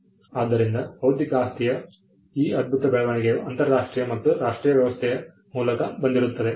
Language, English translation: Kannada, So, this phenomenal growth of intellectual property came through an international and a national arrangement